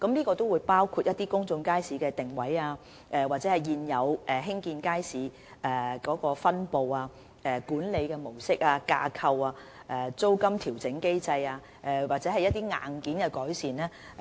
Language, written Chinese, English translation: Cantonese, 檢視範圍包括公眾街市的定位、現有街市的分布、管理模式、架構、租金調整機制，以及一些硬件改善。, The scope of review will cover the positioning of public markets the distribution of existing markets the modus operandi structures the rent adjustment mechanism and certain hardware improvements